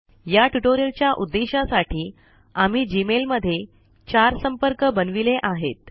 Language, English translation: Marathi, For the purposes of this tutorial we have created four contacts in Gmail